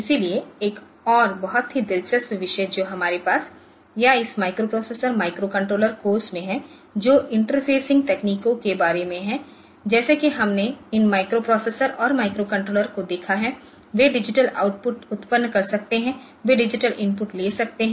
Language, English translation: Hindi, So, another very interesting topic that we have or in this microprocessor microcontroller course is about the interfacing techniques, like we have seen these microprocessors and microcontrollers so they can produce digital outputs they can take digital inputs